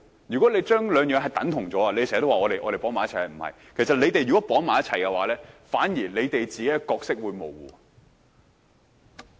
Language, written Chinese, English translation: Cantonese, 如果你們將兩者等同——你們時常說我們將事情捆綁，其實不是——如果你們將兩者捆綁，反而令你們自己的角色變得模糊。, If you equate the two―you often say we bundle up things indeed not―if you tie the two together what ends up happening will be your roles becoming blurred